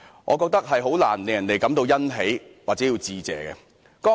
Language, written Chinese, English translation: Cantonese, 我覺得這難以令人感到欣喜或認為要致謝。, I believe that it is rather difficult to feel happy or thankful in respect of this performance